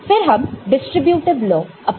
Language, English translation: Hindi, Then you can use distributive law